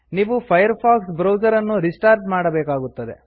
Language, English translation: Kannada, You will be prompted to restart the Firefox browser